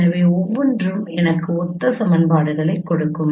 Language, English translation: Tamil, So it will give you me give you only two equations